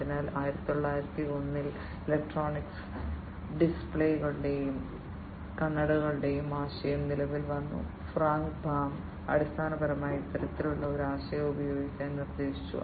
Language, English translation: Malayalam, So, in 1901 the idea of electronic displays and spectacles came into being Frank Baum basically proposed this kind of idea use of this kind of thing